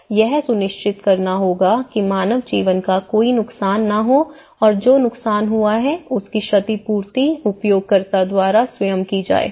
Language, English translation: Hindi, So, it has to ensure that there is no loss of human life and the damage that the damage produced would be repaired by the user themselves